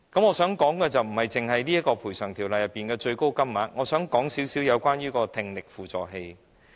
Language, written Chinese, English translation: Cantonese, 我想說的不止是《條例》中的最高補償金額，我還想說說聽力輔助器。, Apart from the maximum compensation amount under the Ordinance I would also like to talk about hearing assistive devices